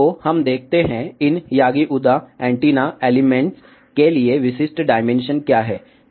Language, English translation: Hindi, So, let us see, what are the typical dimensions for these yagi uda antenna elements